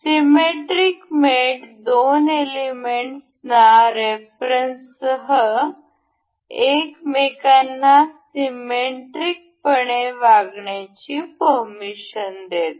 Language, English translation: Marathi, Symmetric mate allows the two elements to behave symmetrically to each other along a reference